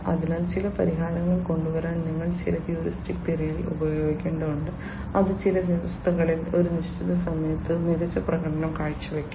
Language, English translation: Malayalam, So, you have to use some heuristic methods to come up with certain solutions, which will perform superior at certain point of time under certain conditions